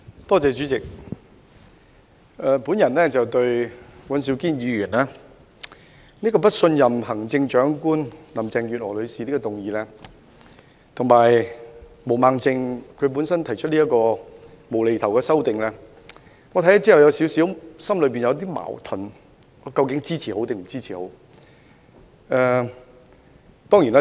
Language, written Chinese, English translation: Cantonese, 代理主席，對於尹兆堅議員提出的不信任行政長官林鄭月娥女士的議案，以及毛孟靜議員提出的"無厘頭"修正案，我看後感到有點矛盾，究竟應否支持呢？, Deputy President I find myself caught in a little conflict after reading the motion on Vote of No Confidence in the Chief Executive ie . Mrs Carrie LAM proposed by Mr Andrew WAN and the nonsensical amendment proposed by Ms Claudia MO